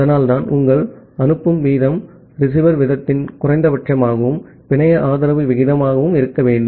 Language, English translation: Tamil, So that is why your sending rate should be minimum of the receiver rate and the network supported rate